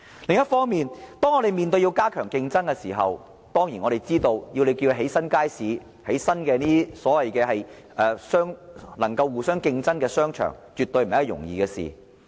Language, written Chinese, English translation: Cantonese, 另一方面，當我們要加強競爭的時候，我們當然知道，要興建新街市或增設一些能夠互相競爭的商場，絕對不是一件容易的事。, Meanwhile in introducing keener competition we certainly know that it is by no means easy to build new markets or provide more shopping arcades which can compete with each other